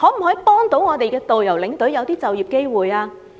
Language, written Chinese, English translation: Cantonese, 可否協助導遊和領隊，製造就業機會？, Can it offer assistance to tour guides and tour escorts and create job opportunities for them?